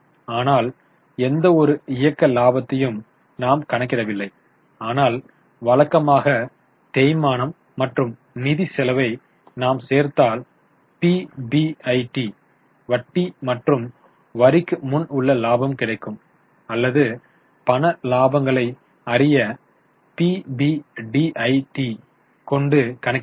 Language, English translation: Tamil, They have not calculated any operating profit but usually if we add back depreciation and finance cost we will get PBIT profit before interest and tax or we can also calculate PBDIT tot to know the cash profit for the business